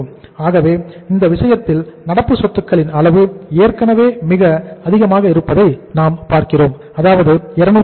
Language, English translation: Tamil, So in this case we are seeing that level of current assets was already very very high, 280